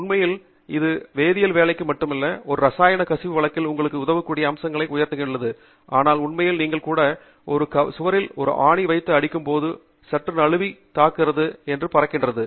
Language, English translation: Tamil, And in fact, this is necessary not just for working with chemicals, I highlighted the aspects of it that would help you in the case of a chemical spill, but really even if you are, you know, putting a nail on a wall, the common thing that happens is as you are nailing, hitting the nail on wall, the nail slips and it flies off